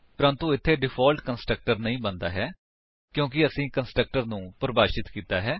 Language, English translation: Punjabi, But here, no default constructor is created because we have defined a constructor